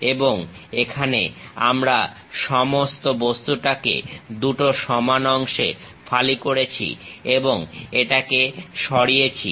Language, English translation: Bengali, And, here the entire object we are slicing it into two equal parts and remove it